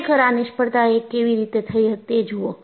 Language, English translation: Gujarati, And really, look at how the failure happened